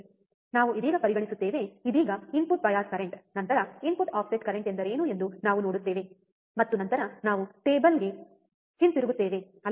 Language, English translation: Kannada, We will just consider, right now input bias current, then we will see what is input offset current, and then we will come back to the table, alright